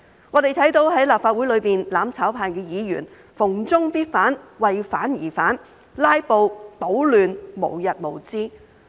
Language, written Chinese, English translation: Cantonese, 我們看到在立法會裏，"攬炒派"議員逢中必反，為反而反，"拉布"、搗亂，無日無之。, We have seen that in the Legislative Council Members of the mutual destruction camp have opposed China on every front and opposed it for the sake of opposing staging filibusters and stirring up trouble ceaselessly